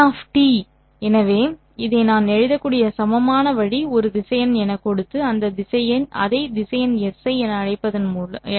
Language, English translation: Tamil, So the equivalent way in which I can write down this is by giving it as a vector and call this as vector S